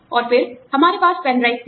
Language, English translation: Hindi, And then, we had pen drives